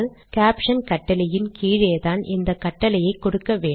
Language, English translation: Tamil, For example you give this command below the caption command